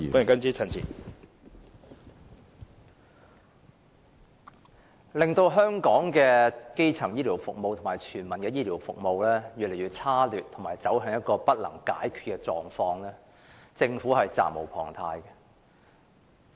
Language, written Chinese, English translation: Cantonese, 導致香港的基層醫療服務及全民醫療服務越見差劣，以及走向一個不能解決的狀況，政府實在責無旁貸。, The Government has an unshirkable responsibility towards the worsening of primary health care services and universal medical care services in Hong Kong and its development into an unresolvable problem